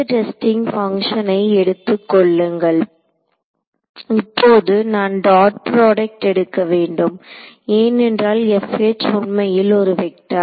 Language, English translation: Tamil, So, take some mth testing function, now I must take a dot product because this F H is actually a vector right